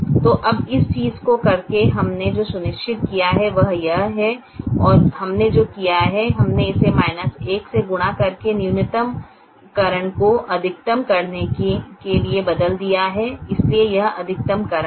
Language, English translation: Hindi, so now, by doing this thing, what we have ensured is that and what we have done is we have change the minimization to a maximization by multiplying this with minus one